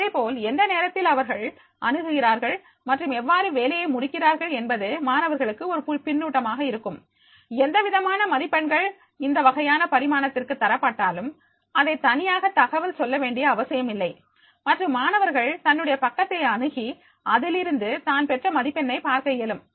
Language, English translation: Tamil, Similarly because they are, at what time they are accessing and how they are completing their work, that will be the feedback for the student also, whatever the marks are given for this type of evolution, it is need not to be communicated separately and the student can access his page any can find out that is the yes, what marks he has scored